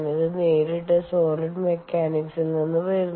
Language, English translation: Malayalam, ok, this directly comes from solid mechanics